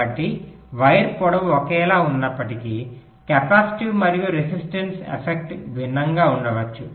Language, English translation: Telugu, so so, although the wire lengths are the same, the capacity and resistive effects may be different